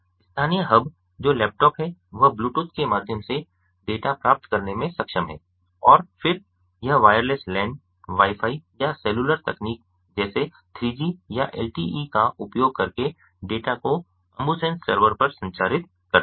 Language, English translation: Hindi, the local hub, that is, the laptop, is capable of receiving the data through bluetooth and then it transmits the data using either wireless, lan, wifi or cellular technologies such as three g or lte to the ambusens servers